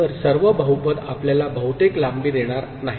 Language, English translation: Marathi, So, not all polynomials will give us maximal length